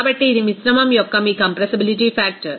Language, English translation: Telugu, So, this is your compressibility factor of the mixture